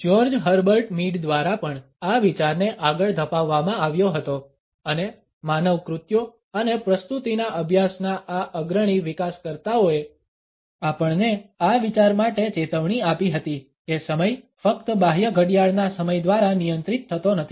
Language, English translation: Gujarati, The idea was also carried forward by George Herbert Mead and these leading developers of the study of human acts and presentness alerted us to this idea that the time is not governed only by the external clock time